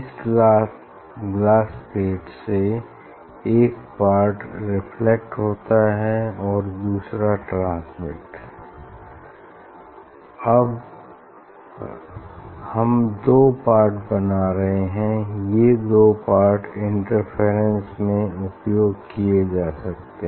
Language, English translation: Hindi, from this glass plate one part is reflected and another part transmitted, we are generating two part ok; these two can be used for interference